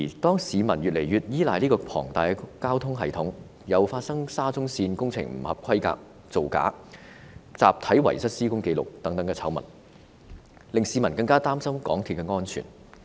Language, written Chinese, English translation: Cantonese, 當市民越來越依賴這個龐大的交通系統時，又發生了沙中綫工程不合規格、造假和集體遺失施工紀錄等醜聞，令市民更加擔心港鐵的安全。, When the public is increasingly reliant on this colossal carrier and in view of scandals related to the Shatin to Central Link involving substandard works fraudulent practices and the missing of records in bulk the public is all the more concerned about the safety of MTR